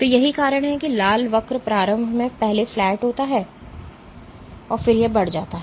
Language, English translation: Hindi, So, that is why the red curve is above initial again flat and then it rises